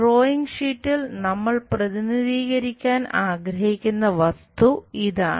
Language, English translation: Malayalam, This is the object we will like to represent it on the drawing sheet